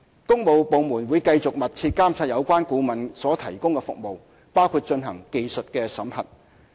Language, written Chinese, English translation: Cantonese, 工務部門會繼續密切監察有關顧問所提供的服務，包括進行技術審核。, Works departments will continue to closely monitor the services delivered by the consultant concerned and will conduct technical audits